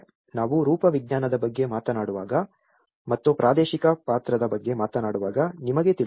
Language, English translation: Kannada, You know, when we talk about the morphology and when we talk about the spatial character